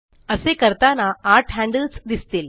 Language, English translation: Marathi, On doing so, eight handles become visible